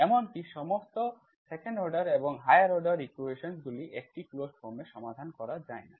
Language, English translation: Bengali, Even for the 2nd order and higher order equations, not all equations can be solved in a closed form